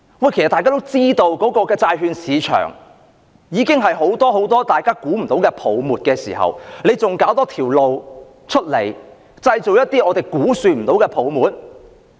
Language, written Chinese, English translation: Cantonese, 眾所周知，債券市場已經存在很多大家料想不到的泡沫，政府還要另闢蹊徑，製造無法估算的泡沫？, As we all know many bubbles out of our expectation have already existed in the bond market . Does the Government have to establish a new channel which would create a bubble beyond estimation all the same?